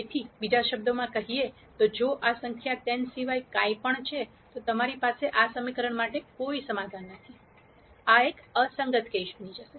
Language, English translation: Gujarati, So, in other words if this number is anything other than 10, you will have no solution to these equations, this will become a inconsistent case